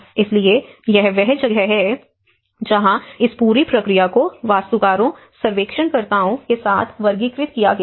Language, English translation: Hindi, So, that is where this whole process has been categorized with the architects, surveyors